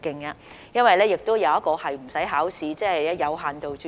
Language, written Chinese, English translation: Cantonese, 另一途徑是無需考試的，即有限度註冊。, The other pathway does not require examinations that is limited registration